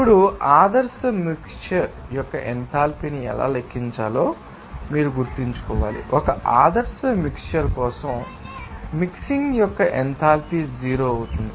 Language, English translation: Telugu, Now, how to calculate the enthalpy of ideal mixture, you have to remember that, for an ideal mixture, the enthalpy of mixing will be zero